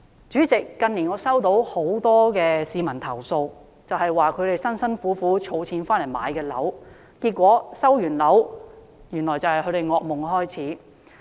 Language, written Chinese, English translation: Cantonese, 主席，近年我收到很多市民投訴，指他們辛苦儲錢買樓，結果收樓後惡夢便開始。, President I have received many complaints from people in recent years saying they have saved every penny possible to buy a property but their nightmares began right after they took possession of the flat